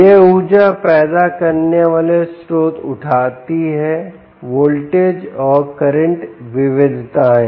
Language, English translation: Hindi, these energy generating sources incur voltage and current variations